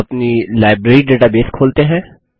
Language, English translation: Hindi, Lets open our Library database